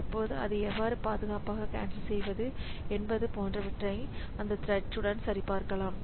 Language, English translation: Tamil, So that thread can check like what are the how to how to cancel it